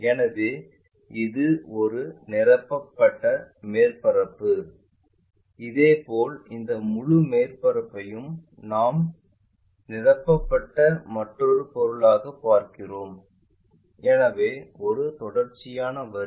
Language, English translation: Tamil, So, it is a filled surface, similarly this entire surface we will see as another filled object on this one as a filled object; so, a continuous line